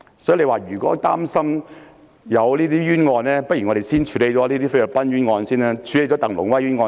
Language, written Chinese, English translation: Cantonese, 所以，如果議員擔心有冤案，我們不如先處理菲律賓的鄧龍威冤案。, Therefore if Members are worried about having wrongful cases we should first address the wrongful case of TANG Lung - wai in the Philippines